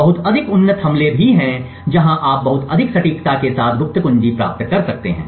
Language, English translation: Hindi, There are much more advanced attack where you can get the secret key with much more accuracy